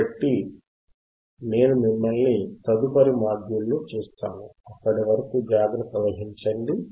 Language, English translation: Telugu, So, I will see you in the next module, till then take care